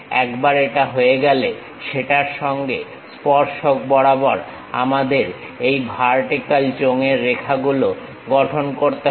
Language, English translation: Bengali, Once it is done, tangent to that we have to construct this vertical cylinder lines